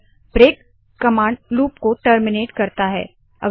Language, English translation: Hindi, The break command, however, terminates the loop